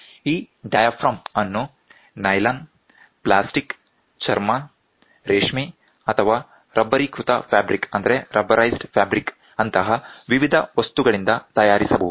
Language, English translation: Kannada, This diaphragm may be made of a variety of material such as nylon, plastic, leather, silk or rubberized fabric